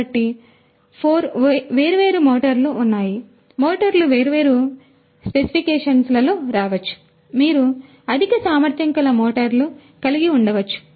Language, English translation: Telugu, So, there are 4 different motors; motors can come in different you know specifications you can have higher capacity motors and so on